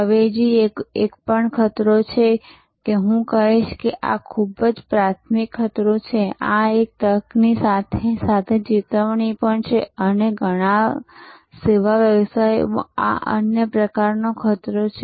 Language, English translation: Gujarati, So, substitution is also a threat, so I would say this is a very primary threat, this is an opportunity as well as a threat and this is another kind of threat in many service businesses